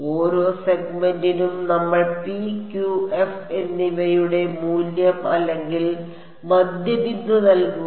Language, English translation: Malayalam, For each segment we just put in the value or the midpoint of p q and f